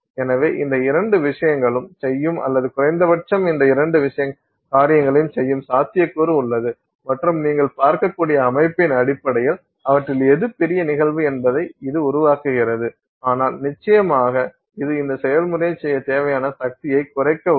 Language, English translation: Tamil, So, both these things it will do so or at least there is a possibility that it will do both these things and based on the system you can see whether it make which of which of them is a greater you know phenomenon but certainly it will help reduce the power required to do this process